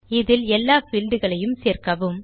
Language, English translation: Tamil, Include all fields